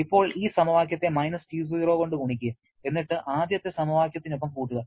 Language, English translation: Malayalam, Now, we multiply this equation with –T0 add with the first equation